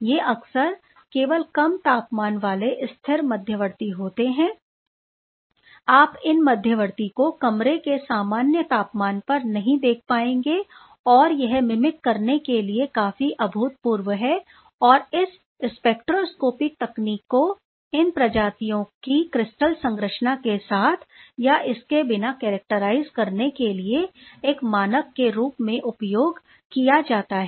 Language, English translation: Hindi, These are often most often these are only low temperature stable intermediate, you will not be able to see these intermediate at room temperature and that is quite phenomenal to mimic I would say and then, thanks to these spectroscopic technique which is now taken as a standard in characterizing these species with or without the crystal structure